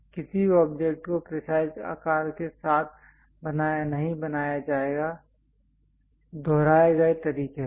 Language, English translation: Hindi, No object will be made with precise size and also shape in a repeated way